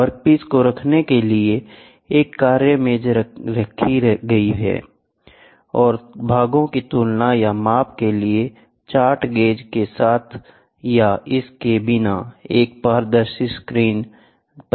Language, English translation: Hindi, Work table to hold the workpiece is placed and their transparent screen with or without the chart gauge for comparison or measurement of the part is done